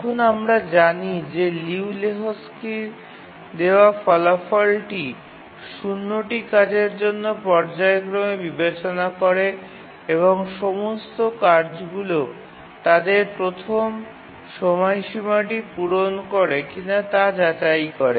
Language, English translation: Bengali, Now we know the result given by Liu Lehuzki that consider zero phasing for the tasks and check if all the tasks meet their first deadline and then we can safely say that they will meet all their deadlines